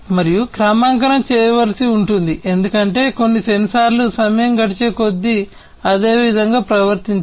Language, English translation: Telugu, And calibration has to be done because certain sensors would not behave the same way with passage of time